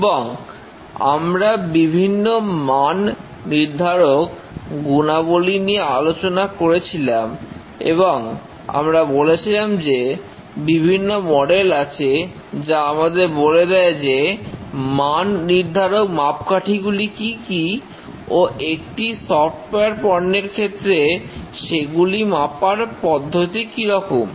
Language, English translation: Bengali, And we had discussed about the various attributes, quality attributes, and we said that there are several quality models which define that what are the quality attributes and how to measure them given a software product